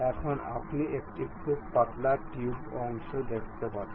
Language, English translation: Bengali, Now, if you are seeing very thin tube portion you will get